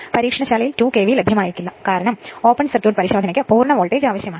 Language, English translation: Malayalam, In the laboratory that 2 KV may not be available right that is because for open circuit test you need full voltage